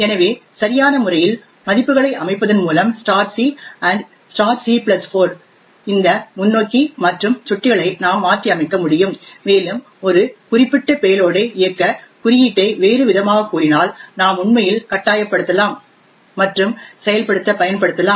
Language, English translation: Tamil, So by appropriately setting values of *c and *(c+4) we can modify these forward and back pointers and we could force the code to run a specific payload in other words we can actually force and exploit to execute